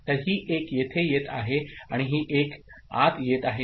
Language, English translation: Marathi, So, this 1 is coming here and this 1 is getting in